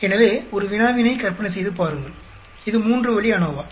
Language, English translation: Tamil, So, imagine a problem it is a three way ANOVA